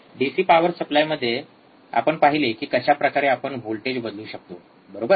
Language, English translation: Marathi, In DC power supply we have seen how we can change the voltage, right